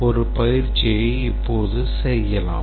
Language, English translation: Tamil, Let's take an exercise